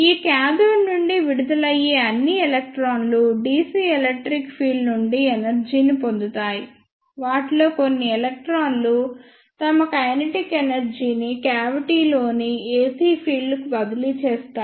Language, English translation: Telugu, All the electrons which are emitted from this cathode get energy from the dc electric field some of those electron transfer their kinetic energy to the ac field present in the cavities